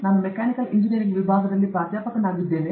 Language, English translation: Kannada, I am a professor in the Department of Mechanical Engineering